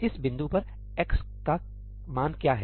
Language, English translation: Hindi, What is the value of x at this point